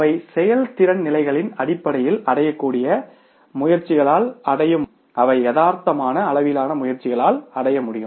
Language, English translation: Tamil, They are the standards, attainable standards are the standards based on levels of performance that can be achieved by realistic levels of efforts